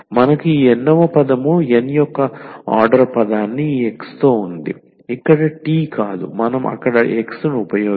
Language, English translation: Telugu, So, we have this nth term an nth order term with this x here not the t; we have used x there